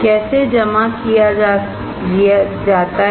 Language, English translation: Hindi, How the deposition is done